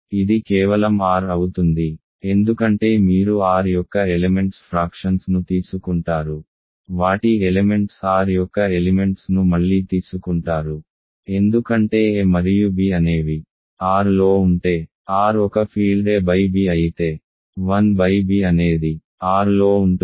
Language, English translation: Telugu, It is just R right, because you take fractions of elements of R, their elements of R again because R is a field a by b if a and b are in R 1 by b is in R